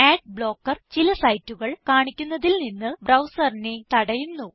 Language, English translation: Malayalam, * Adblocker may prevent some sites from being displayed on your browser